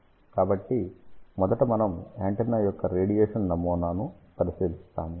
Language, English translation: Telugu, So, first of all we actually look at the radiation pattern of the antenna